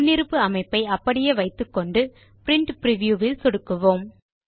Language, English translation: Tamil, Let us keep the default settings and then click on the Print Preview button